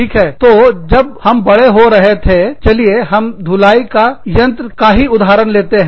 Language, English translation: Hindi, So, when we were growing up, let us just stick with the example, of a washing machine